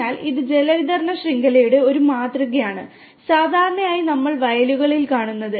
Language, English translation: Malayalam, So, it is kind of a prototype for water distribution network, what usually we see in the fields